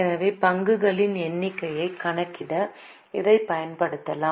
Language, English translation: Tamil, So, we can use it for calculating number of shares